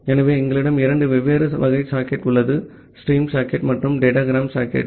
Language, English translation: Tamil, So, we have two different type of socket; the stream socket and the datagram socket